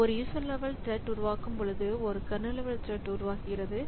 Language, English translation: Tamil, Creating a user level thread creates a kernel thread as well